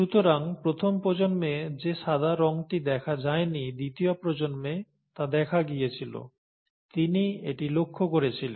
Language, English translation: Bengali, So the white colour which was missed in the first generation made an appearance in the second generation; that is what he found